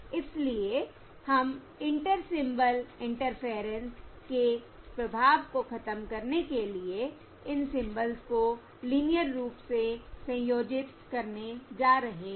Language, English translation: Hindi, all right, So we are going to linearly combine these symbols to eliminate the effect of Inter Symbol Interference